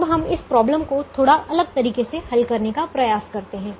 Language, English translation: Hindi, now let's try to solve this problem in a slightly different manner